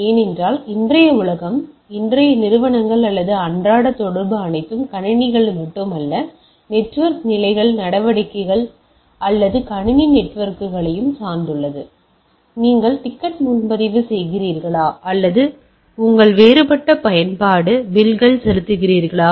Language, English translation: Tamil, Because see today’s world or today’s enterprises or today’s day to day interaction are all becoming dependent on not only the computers, but more dependent on the network level activities or computer networks, right whether you are booking a ticket, or even paying your different your utility bills like electricity bills and water bills and type of things